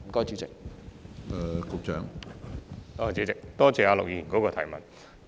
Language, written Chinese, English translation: Cantonese, 主席，多謝陸議員的補充質詢。, President I thank Mr LUK for his supplementary question